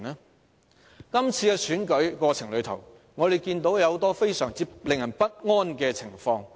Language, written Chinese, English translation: Cantonese, 在今次的選舉過程中，我們看到很多非常令人不安的情況。, In the course of this election campaign we have witnessed many disturbing developments